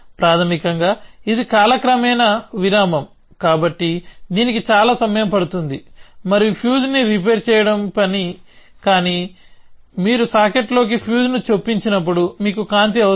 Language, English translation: Telugu, Basically, this is a interval over time so, this takes so much time, this takes so much time and the task is to repair the fuse, but you need light when you inserting the fuse in to the socket